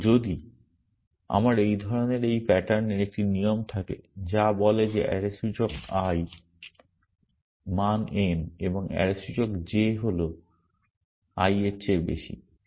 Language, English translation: Bengali, And if I have a rule of this kind or this pattern which says that array index i, value n and array index j greater than i